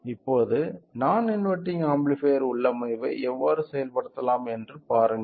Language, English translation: Tamil, Now, see how can we implement the non inverting amplifier configuration at this distance